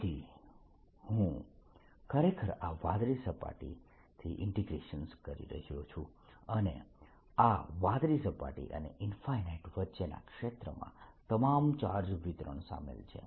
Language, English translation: Gujarati, so i am, i am actually doing this integration from this blue surface which to infinity and this blue surface and infinity region in between, includes all the charge distribution